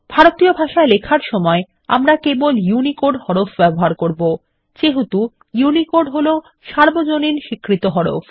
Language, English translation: Bengali, We shall use only UNICODE font while typing in Indian languages, since UNICODE is the universally accepted font